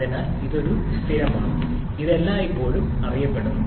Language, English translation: Malayalam, So, this is a constant, this is always known